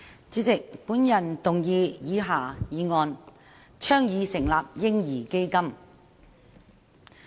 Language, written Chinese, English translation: Cantonese, 主席，我動議以下議案：倡議成立"嬰兒基金"。, President I move the following motion Advocating the establishment of a baby fund